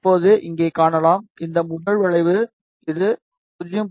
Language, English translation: Tamil, Now, you can see here, this first curve